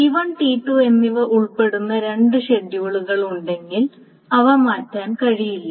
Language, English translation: Malayalam, So if there are two schedules that involve this T1 and T2, then there may not be changed